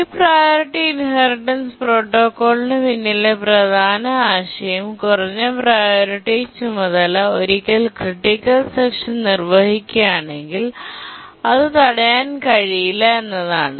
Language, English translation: Malayalam, The main idea behind the basic priority inheritance protocol is that once a lower priority task is executing its critical section, it cannot be preempted